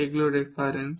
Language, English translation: Bengali, These are the references